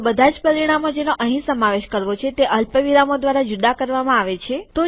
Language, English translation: Gujarati, So all the parameters here are to be included separated by commas